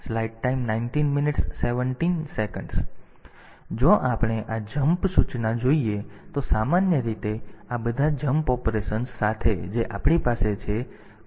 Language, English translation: Gujarati, So, so if you if we see this jump or this JMP instruction; in general so, with all these jump operations that we have